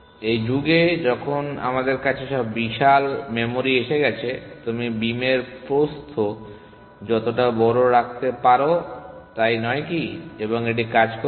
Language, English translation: Bengali, In this era of huge memory sizes, you can keep the beam width as large as you can isn’t it and it will work